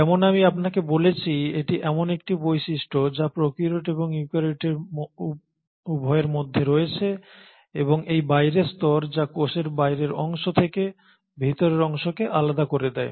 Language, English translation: Bengali, Now as I told you this is a feature which is common both between the prokaryotes and the eukaryotes and it is this outermost layer which segregates the interior of a cell from the exterior of a cell